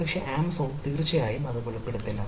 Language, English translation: Malayalam, but the amazon will definitely not disclose this